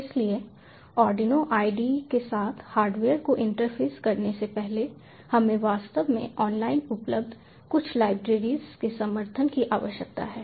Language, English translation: Hindi, so prior to interfacing the hardware with the arduino ide, we actually need the support of a few libraries available online